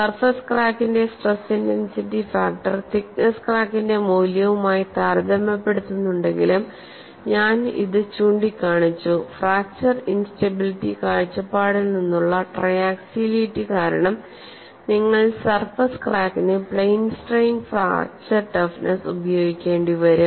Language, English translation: Malayalam, Then we also looked at an inside into stress intensity factors for various situations, though the stress intensity factor for a surface crack is compare to through the thickness crack, I pointed out, because of triaxiality from fracture instability point of view you will have to use plane strain fracture toughness for surface cracks so, you have to keep it at the back of your mind, that surface cracks are always dangerous